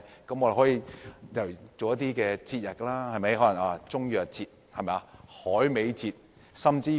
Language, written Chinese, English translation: Cantonese, 我們可以舉辦一些節日，例如"中藥節"、"海味節"等。, We can organize festivals such as the Chinese Medicine Festival and Dried Seafood Festival